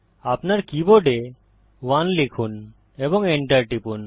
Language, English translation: Bengali, Type 1 on your keyboard and press enter